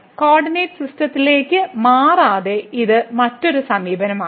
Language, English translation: Malayalam, So, this is another approach without changing to the coordinate system